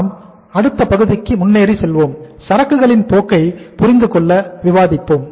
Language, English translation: Tamil, But let us first move to the next part that is the understand the inventory behaviour